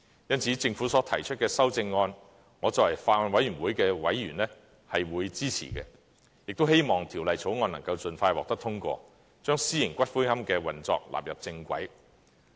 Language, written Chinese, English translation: Cantonese, 因此，政府所提出的修正案，我作為法案委員會的委員，是會支持的，亦希望《條例草案》能夠盡快獲得通過，將私營龕場的運作納入正軌。, For this reason as a member of the Bills Committee I support the amendments proposed by the Government and I hope that the Bill will be passed as soon as possible so as to put the operation of private columbaria on the right track